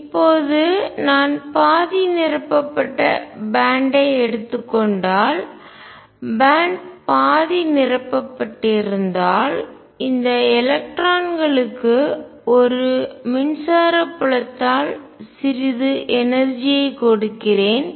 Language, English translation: Tamil, Now if I take a half filled band if the band is half filled and I give some energy to these electrons by a pi electric field